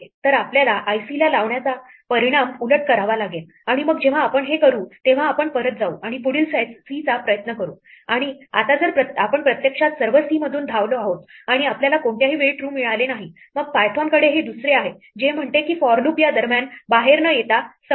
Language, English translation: Marathi, So, we have to reverse the effect of putting at i c and then, when we do this we will go back and we will try the next c and now if we have actually run through all the c’s and we have not returned true at any point, then python has this else which says that the for loop terminated without coming out in between